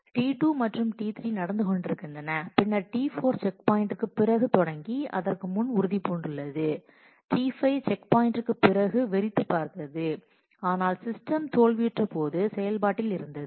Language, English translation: Tamil, T 2 and T 3 were ongoing and then T 4 has started after checkpoint and committed before that, T 5 started after checkpoint, but was also active was also in execution when system failed